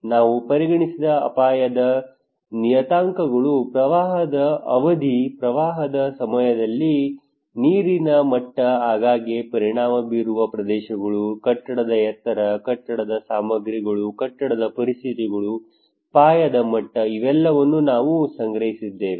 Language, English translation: Kannada, Hazard parameters we considered, flood duration, water level during the flood, areas frequently affected, building height, building materials, building conditions, plinth level these all we collected